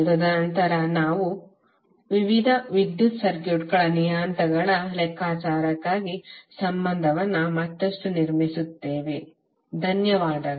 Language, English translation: Kannada, And then we will further build up the relationship for calculation of various electrical circuit parameters, thank you